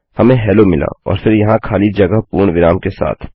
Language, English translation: Hindi, Weve got Hello and then a blank here with a full stop